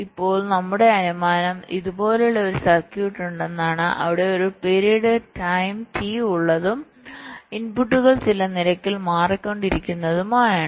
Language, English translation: Malayalam, now our assumption is that we have a circuit like this where there is a period time, t, and the inputs are changing at some rate